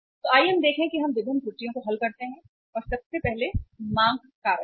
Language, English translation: Hindi, So let us see that let us work out the different errors and first is the demand factor